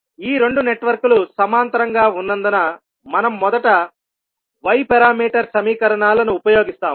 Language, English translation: Telugu, Since these 2 networks are in parallel, we will utilise first Y parameter equations